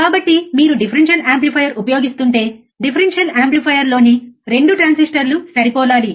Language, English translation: Telugu, So, if you are using differential amplifier, the 2 transistors in the differential amplifier should be matching